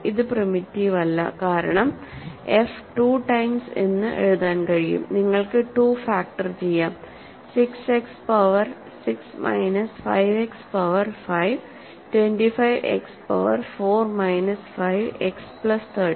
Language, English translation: Malayalam, It is not primitive, right because f can be written as 2 times, you can factor 2, 6 X 6 minus 5 X 5 plus 25 X 4 minus 5 X plus 30, right